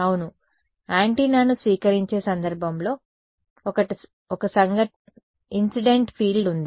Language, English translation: Telugu, Yes, in the case of receiving antenna there is an incident field right